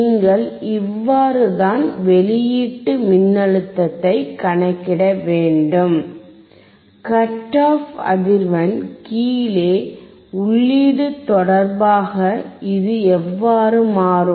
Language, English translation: Tamil, And that is how you can calculate the output voltage, how it will change with respect to input below the cut off frequency